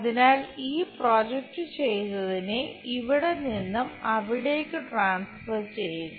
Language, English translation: Malayalam, So, transfer this projected 1 from here to there